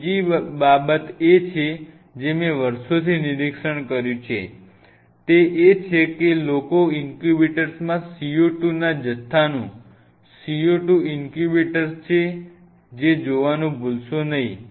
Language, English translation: Gujarati, Another important thing what I have observed over the years is people forget to keep track of if it is a CO2 incubator of the amount of CO2 in the incubator